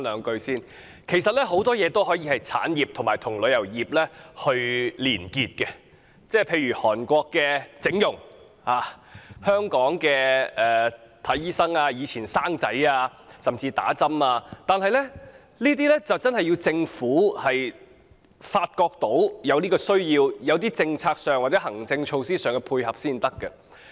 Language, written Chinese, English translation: Cantonese, 很多東西可以發展為產業，並與旅遊業連結，例如韓國的整容、香港的求診、以往的產子甚至注射疫苗，但政府需要在政策或行政措施上予以配合。, Many events can be linked up with the travel industry and developed as separate industries such as going to South Korea for cosmetic surgery; going to Hong Kong for medical treatment childbirth in the past and even vaccination . But the Government needs to provide support in terms of policies or administrative measures